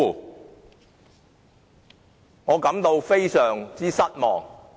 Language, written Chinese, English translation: Cantonese, 對此，我感到非常失望。, I am very disappointed about this